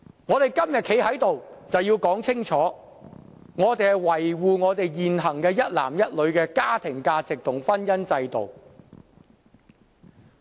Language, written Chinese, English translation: Cantonese, 我們今天站在這裏，就是要說清楚，我們是要維護現行一男一女的家庭價值和婚姻制度。, Today I am standing here to make it clear that we have to defend the family values and the institution of marriage of one man with one woman